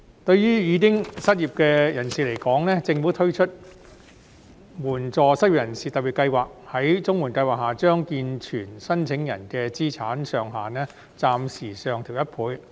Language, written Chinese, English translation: Cantonese, 對於已經失業的人士而言，政府推出援助失業人士特別計劃，將綜合社會保障援助計劃下健全申請人的資產上限暫時上調1倍。, For those who are already unemployed the Government has launched the Special Scheme of Assistance to the Unemployed under which the asset limits for able - bodied applicants of the Comprehensive Social Security Assistance CSSA Scheme are temporarily increased by 100 %